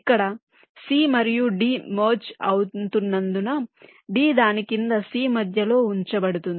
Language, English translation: Telugu, but here, because c and d are merging, d will be placed just to the center of c, below it